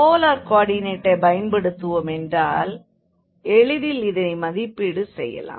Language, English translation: Tamil, And with the help of again the polar coordinate this was very easy to evaluate